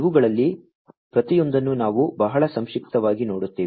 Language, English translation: Kannada, We will look at each of these very briefly